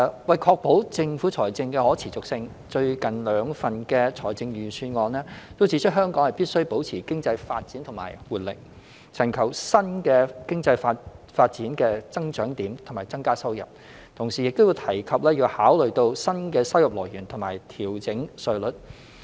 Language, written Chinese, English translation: Cantonese, 為確保政府財政的可持續性，最近兩份財政預算案均指出，香港必須保持經濟發展與活力，尋求新的經濟發展的增長點以增加收入；同時亦提及要考慮新的收入來源和調整稅率。, As pointed out in the recent two Budgets to ensure our fiscal sustainability Hong Kong needs to maintain the development and vibrancy of our economy and identify new areas of growth with a view to increasing our revenue . Meanwhile as it has also been mentioned we need to consider exploring new revenue sources or revising tax rates